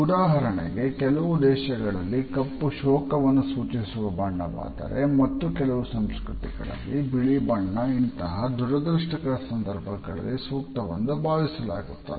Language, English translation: Kannada, For example in certain countries black is the color of mourning whereas, in certain other cultures it is considered to be the white which is appropriate during these unfortunate occasions